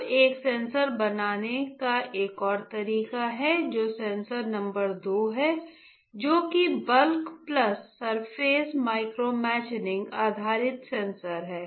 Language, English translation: Hindi, Now there is another way of fabricating a sensor that is sensor number two which is bulk plus surface micromachining based sensor alright